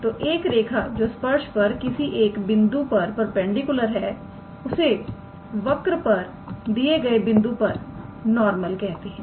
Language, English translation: Hindi, So, a line which is perpendicular to the tangent at that particular point is called as the normal to the curve at that point